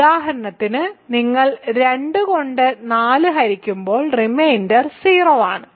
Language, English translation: Malayalam, For example, when you divide 5 by 4 by 2 the reminder is 0